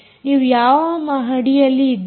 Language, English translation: Kannada, which floor are you in